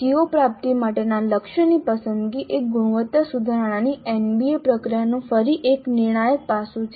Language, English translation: Gujarati, This selecting the target for CO attainment is again a crucial aspect of the NBA process of quality improvement